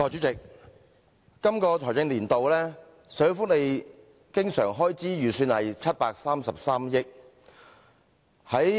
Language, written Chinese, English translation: Cantonese, 代理主席，今個財政年度，社會福利經常開支預算為733億元。, Deputy President the recurrent expenditure on social welfare is estimated at 73.3 billion in this financial year